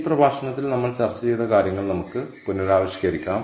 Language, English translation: Malayalam, ok, so let us kind of recap what we discussed in this lecture